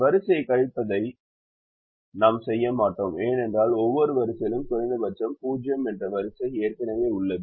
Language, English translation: Tamil, we don't do row subtraction, because the row minimum is already zero for every row